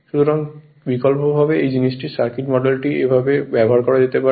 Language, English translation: Bengali, So, actu[ally] so alternatively the circuit model of this thing could be used like this